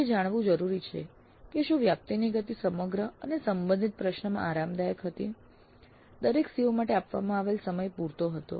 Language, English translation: Gujarati, So it is essential to know whether the pace of coverage was comfortable throughout and the related question, time devoted to each COO was quite adequate